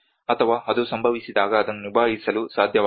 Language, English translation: Kannada, Or be able to cope up when it happens